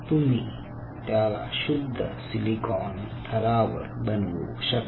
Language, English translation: Marathi, you can make them on pure silicon substrates